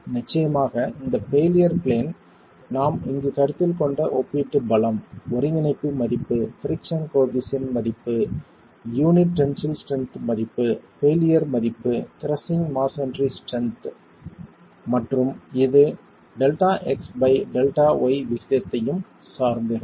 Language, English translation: Tamil, Of course, this failure plane is going to be affected by the relative strengths that we have considered here, the value of cohesion, the value of friction coefficient, the value of tensile strength of the unit, the value of failure crushing strength of masonry and it is also going to be dependent on the ratio delta x by delta y